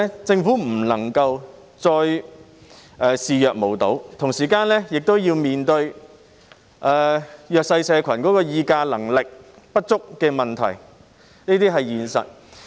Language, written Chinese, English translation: Cantonese, 政府不能夠再視若無睹，同時也要面對弱勢社群議價能力不足的問題，這是現實的情況。, The Government cannot turn a blind eye to their situation anymore . At the same time it also has to face the problem concerning the insufficient bargaining power of disadvantaged groups and this is the actual situation